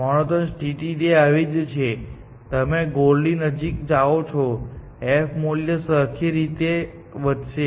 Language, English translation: Gujarati, A monotone condition is that, as you move closer to the goal, the f value monotonically increases